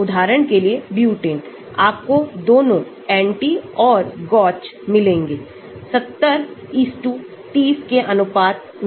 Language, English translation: Hindi, For example, butane, you will find both anti and gauche in the ratio of 70:30